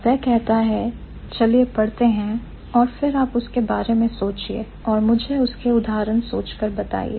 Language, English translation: Hindi, It says, let's read it and then you think about it and come up with examples for me